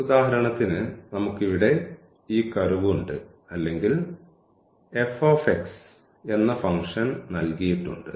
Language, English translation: Malayalam, So, for instance we have this curve here or the function which is given by f x